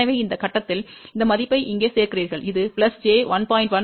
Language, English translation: Tamil, So, at this point, you add this value here which is plus j 1